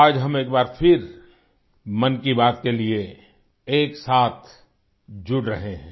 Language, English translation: Hindi, We are connecting once again today for Mann Ki Baat